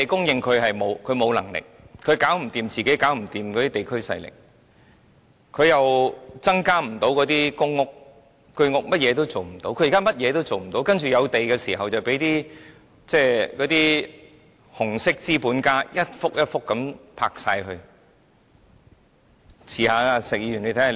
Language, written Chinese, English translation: Cantonese, 政府沒有能力供應土地，應付不了地區勢力，亦無法增建公屋或居屋，甚麼都做不到；當有土地拍賣時，就被那些紅色資本家一幅一幅的買走。, The Government is unable to supply land unable to deal with forces in local communities and unable to build more PRH or HOS flats . It cannot do anything . All sites put up for auction are bound to be bought by red capitalists